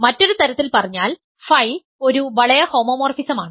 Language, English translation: Malayalam, So, let phi be a ring homomorphism